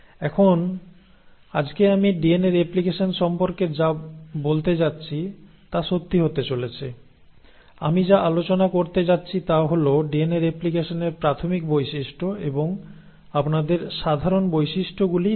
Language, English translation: Bengali, Now what I am going to talk today about DNA replication is going to hold true, what I am going to cover is just the basic features of DNA replication and just give you the common features